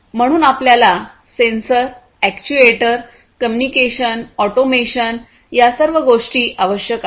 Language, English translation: Marathi, So, we need sensors, actuators, communication, automation all of these things